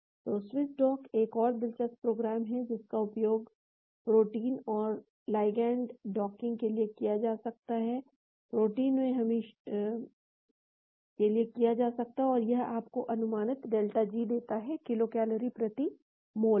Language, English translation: Hindi, So, Swiss dock is another interesting program, which can be used for docking ligands to protein and it gives you the estimated delta G in kilocalories per mole